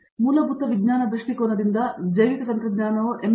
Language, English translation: Kannada, And from basic science point view, so biotechnology evolved in M